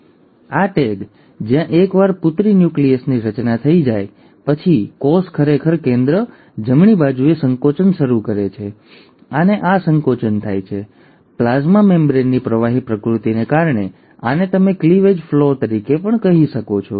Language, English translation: Gujarati, Now, this tag, where, once a daughter nuclei have been formed, the cell actually starts constricting at the centre, right, and this constriction happens, thanks to the fluidic nature of the plasma membrane, this is what you also call as the cleavage furrow